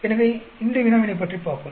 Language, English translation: Tamil, So let us look at this problem